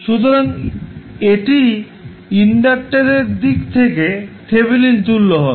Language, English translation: Bengali, So, this section would be your Thevenin equivalent